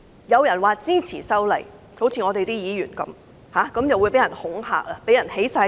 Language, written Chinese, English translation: Cantonese, 有人說支持修例，例如有議員這樣說，他們便會被人恐嚇，被人起底。, If people such as some Members express their support of the amendment they will be intimidated and doxxed